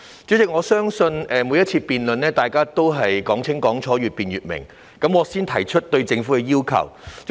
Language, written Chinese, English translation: Cantonese, 主席，相信在每次辯論中，大家都希望講清講楚、越辯越明，我會先提出對政府的要求。, President I believe that Members just wish to make clear their points in every debate and their points will become clearer with an exhaustive debate